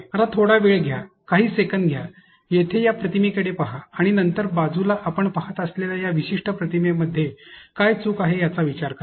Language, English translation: Marathi, Now, take a moment, take a few seconds, look into this image here and then think of what is wrong with this particular image that you see on this side